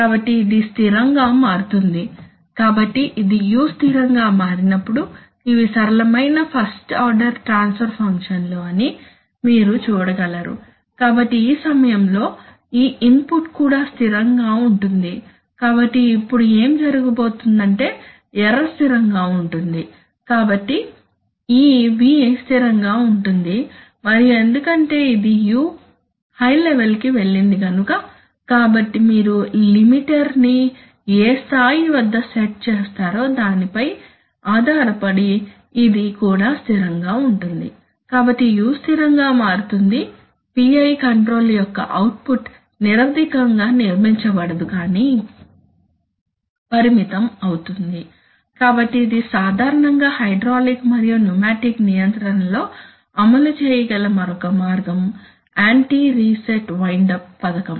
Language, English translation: Telugu, So at that point of time this input will also be constant, so now what is happening is that the error is the error is constant so therefore this v is constant and because this u has gone to a high level, so even at some level depending on the where you have set the limiter this is also constant so therefore u becomes constant so the output of the PI controller does not build up in definitely but gets limited, so this is another way by which an anti reset windup scheme can be implemented typically in hydraulic and pneumatic controls